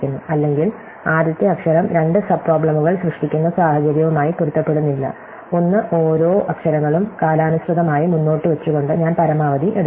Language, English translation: Malayalam, Or, the first letter does not match in which case is generate two subproblems, one by propping each of the letters in term and I take the maximum of the true